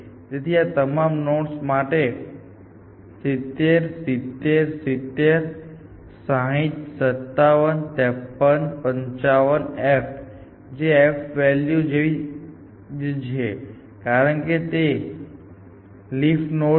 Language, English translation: Gujarati, So, for all these nodes 70, 70, 70, 60, 57, 53, 55, the f prime value is the same as the f value, because it is a leaf node